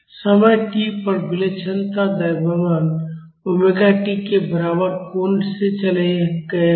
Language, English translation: Hindi, At time t, the eccentric masses would have moved by an angle equal to omega t